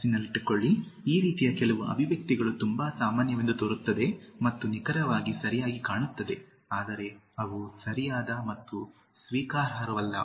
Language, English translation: Kannada, Mind you, some of the expressions like this, looks very normal and looks like something that is exactly correct, but they are not correct and acceptable